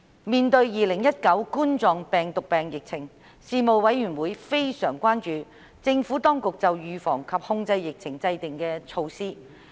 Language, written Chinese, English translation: Cantonese, 面對2019冠狀病毒病疫情，事務委員會非常關注政府當局就預防及控制疫情制訂的措施。, In the face of the Coronavirus Disease 2019 epidemic the Panel has shown great concern about the epidemic prevention and control measures of the Administration